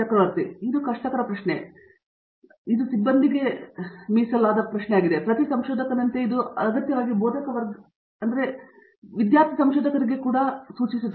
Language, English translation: Kannada, This is a very difficult question and this is sort of highly personnel, as in every researcher and this doesn’t have to be a necessarily a faculty member, it also portents to a student researcher